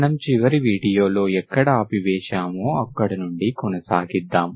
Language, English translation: Telugu, Let us continue where we left in the last video